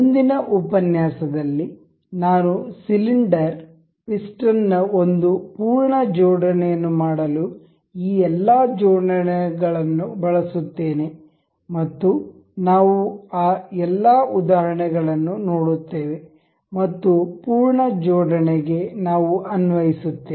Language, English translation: Kannada, In the next lecture I will go with the I will use all of these assemblies to make one full assembly that is single cylinder piston assembly and we will see all of those examples and we will apply those in the full assembly